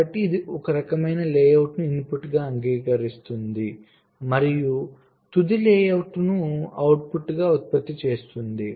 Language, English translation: Telugu, so this can accepts some kind of a layout as input and generates the final layout as output